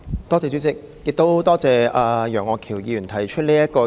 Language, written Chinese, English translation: Cantonese, 多謝楊岳橋議員提出這項議案。, I am grateful to Mr Alvin YEUNG for moving this motion